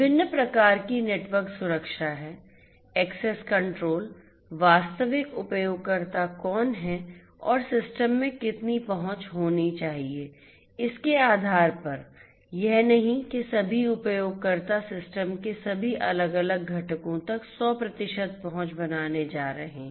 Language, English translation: Hindi, There are different types of network security you know access control based on who the actual users are and how much access this should have in the system, not that all users are going to have 100 percent access to all the different components of the system